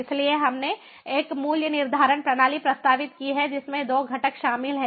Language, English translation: Hindi, so we have proposed a pricing mechanism that comprises of two components